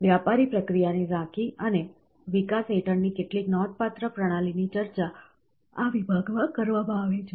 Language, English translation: Gujarati, An overview of commercial process and a few notable systems under development, are discussed in this section